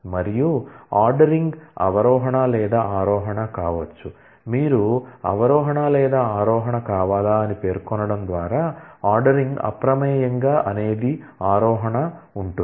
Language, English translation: Telugu, And the ordering can be descending or ascending, you can control that, by specifying whether you want descending or ascending by default the ordering is ascending